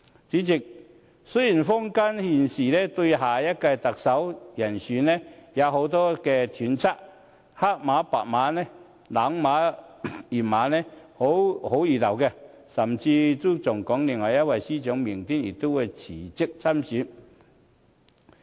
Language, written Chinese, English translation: Cantonese, 主席，雖然坊間現時對下任特首人選有很多揣測，黑馬白馬、冷馬熱馬，好不熱鬧，甚至有說另一位司長明天也會辭職參選。, President there are many speculations in the community about the next Chief Executive . People are enthusiastically saying which Chief Executive candidate is getting more or less popular . Some even say that the Chief Secretary will resign tomorrow to join the race